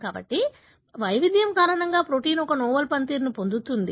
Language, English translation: Telugu, So, because of the variation, the protein acquires a novel function